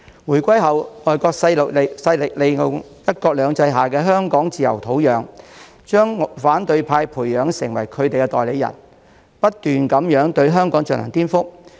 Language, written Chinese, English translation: Cantonese, 回歸後，外國勢力利用"一國兩制"下香港自由的土壤，將反對派培養成為他們的代理人，不斷對香港進行顛覆。, After the reunification foreign forces took advantage of the freedom of Hong Kong under one country two systems to cultivate the opposition camp as their agents and to continuously subvert Hong Kong